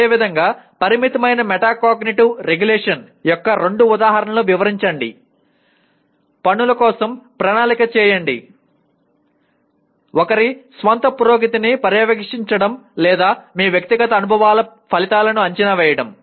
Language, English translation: Telugu, Similarly, describe two instances of inadequate metacognitive regulation; planning for tasks, monitoring one’s own progress or evaluating the outcomes from your personal experiences